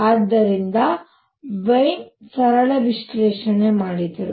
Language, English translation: Kannada, So, Wien did a simple analysis